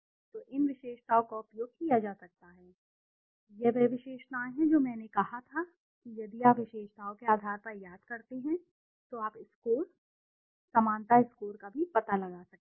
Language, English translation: Hindi, So these attributes can be used, this is the attributes which as I said if you remember on basis of the attributes also you can find out the scores, the similarity scores